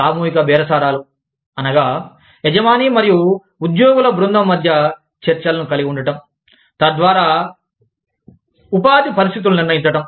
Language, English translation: Telugu, Collective bargaining, consists of negotiations, between an employer and a group of employees, so as to determine, the conditions of employment